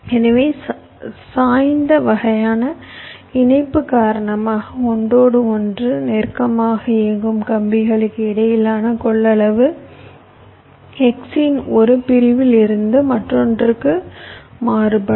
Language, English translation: Tamil, so because of the slanted kind of connection, the capacitance between the wires which are running closer to each other will be varying from one segment of the x to other